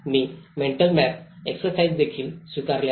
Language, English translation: Marathi, I have also adopted the mental map exercises